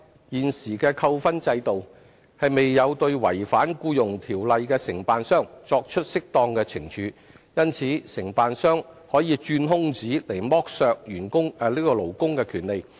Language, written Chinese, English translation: Cantonese, 現時的扣分制度未有對違反《僱傭條例》的承辦商作出適當懲處，因此承辦商可以鑽空子剝削勞工的權利。, The existing demerit point system has failed to impose appropriate penalties on contractors in breach of the Employment Ordinance thereby allowing contractors exploitation of workers rights as a result of such loopholes